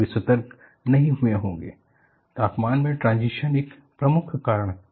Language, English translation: Hindi, They would not have got alerted, transition in temperature is a major cause